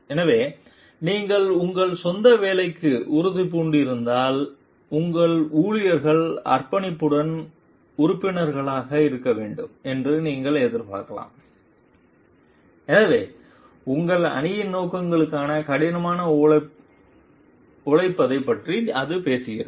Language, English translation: Tamil, So, if you are committed to your own work then you can expect your employees to be committed members also so it talks of maybe working hard for your team s objectives